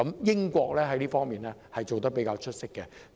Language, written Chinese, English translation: Cantonese, 英國在這方面做得比較出色。, The United Kingdom has been doing relatively well in this regard